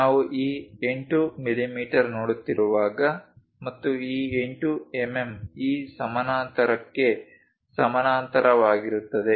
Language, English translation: Kannada, When we are looking at this 8 mm and this 8 mm are in parallel with this parallel with that